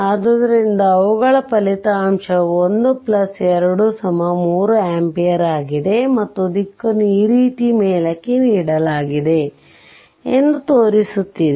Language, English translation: Kannada, So, their resultant is 1 plus say 2 is equal to 3 ampere, and it is showing the direction is given this way upward right